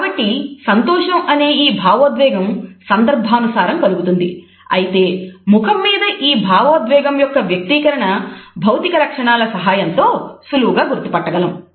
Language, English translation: Telugu, So, the emotion of happiness is contextual; however, the expression of this emotion on our face can be easily recognized with the help of these physical features